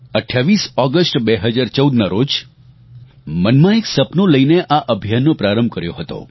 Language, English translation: Gujarati, On the 28th of August 2014, we had launched this campaign with a dream in our hearts